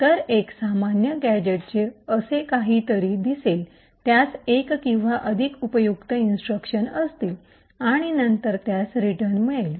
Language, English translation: Marathi, So, a typical gadget would look something like this, it would have one or more useful instructions and then it would have a return